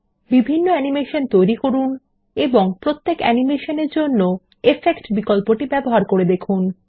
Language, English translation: Bengali, Create different animations and Check the Effect options for each animation